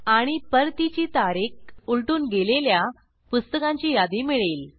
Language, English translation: Marathi, And the list of books which are past their return date